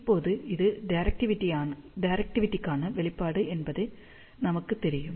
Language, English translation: Tamil, Now, we know this is the expression for directivity